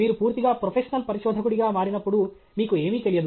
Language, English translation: Telugu, When you become a fully professional researcher, then you know completely about nothing